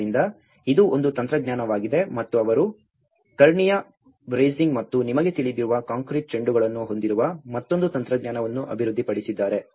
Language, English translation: Kannada, So, this is one technology and also they developed one more technology of having a diagonal bracing and the concrete balls you know